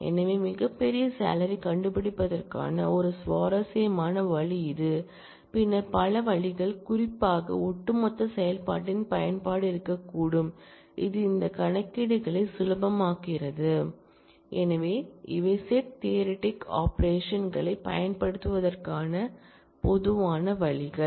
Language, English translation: Tamil, So, this is a interesting way to find the largest salary we will see later on that there could be several other ways particularly the use of aggregate function, which make these computations easier to perform, but these are the typical ways to use set theoretic operations